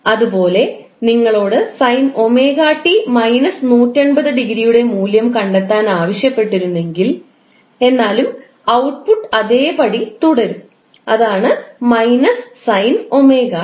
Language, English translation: Malayalam, Similarly, if you are asked to find out the value of omega t minus 180 degree, still the output will remain same, that is minus sine omega t